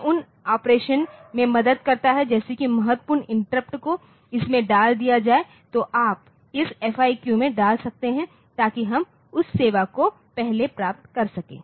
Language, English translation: Hindi, So, we can have it is that critical interrupts put into this you can have critical interrupts put into this ARM into this FIQ so that we can get that service first